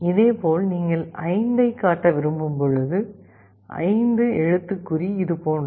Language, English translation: Tamil, Similarly, let us say when you want to display 5, the character 5 is like this